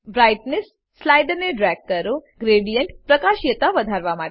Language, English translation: Gujarati, Drag the Brightness slider, to increase the brightness of the gradient